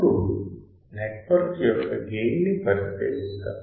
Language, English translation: Telugu, Now let us consider the gain of the network